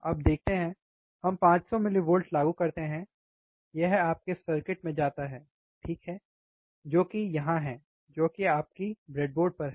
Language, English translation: Hindi, Let see so now, we apply 500 millivolts, it goes to your circuit, right which is, right over here which is your breadboard